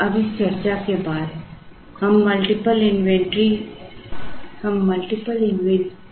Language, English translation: Hindi, Now, after this discussion we move towards multiple item inventories